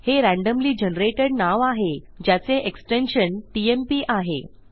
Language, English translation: Marathi, You can see that this is a randomly generated name that has a tmp extension